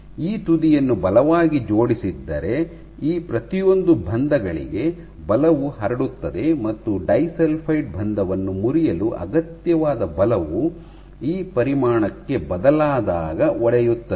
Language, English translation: Kannada, So, if this end is strongly attached and this end is strongly attached then force will get transmitted to each of these bonds and the force required to disulfide to break the disulfide bond will break the once your force switches that magnitude